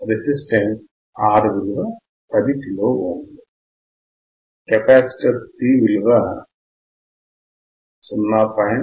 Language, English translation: Telugu, The resistance R is 10 kilo ohm, C is 0